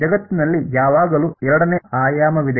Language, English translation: Kannada, There is always a second dimension in world somehow